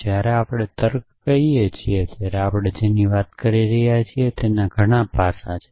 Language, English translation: Gujarati, So, when we say logic there are many aspects to what we are talking about